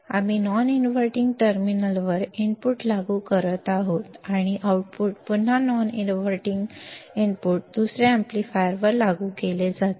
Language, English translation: Marathi, We are applying the input at the non inverting terminal, and the output is again applied to an another amplifier at the non inverting input right